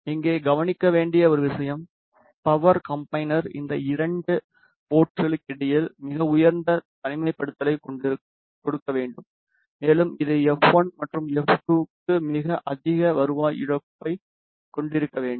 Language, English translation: Tamil, One thing to be noted here the power combiner should give a very high isolation between these two ports and also it should have a very high return loss for f 1 and f 2